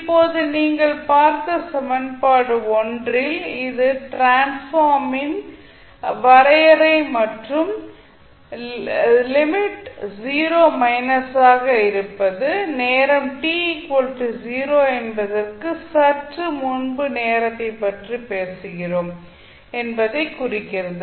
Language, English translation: Tamil, Now, in equation 1, which you just saw that is the definition of your Laplace transform the limit which is 0 minus indicates that we are talking about the time just before t equals to 0